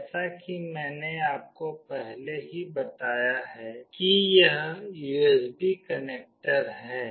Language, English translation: Hindi, As I have already told you that this is the USB connector